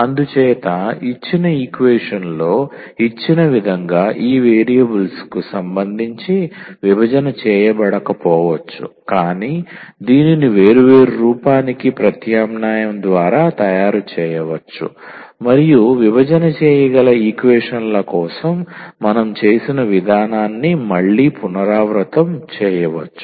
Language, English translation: Telugu, So, as such in the given in the given equation may not be separated with respect to these variables, but it can be made by some substitution to separable form and then we can again repeat the process which we have done for the separable equations